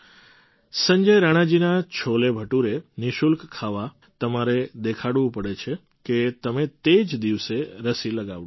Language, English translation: Gujarati, To eat Sanjay Rana ji'scholebhature for free, you have to show that you have got the vaccine administered on the very day